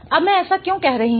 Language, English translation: Hindi, Now, why am I saying that